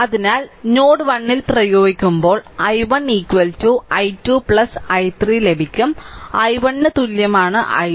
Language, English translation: Malayalam, So, so at node 1 you apply you will get i 1 is equal to i 2 plus i 3, i 1 is equal I 2